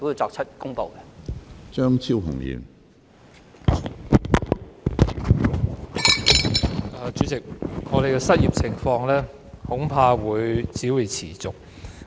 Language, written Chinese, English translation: Cantonese, 主席，本港的失業問題恐怕將會持續。, President the unemployment problem in Hong Kong is likely to persist